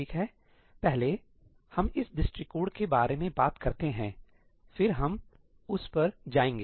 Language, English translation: Hindi, Okay, first, let us talk about this approach, then we will go to that one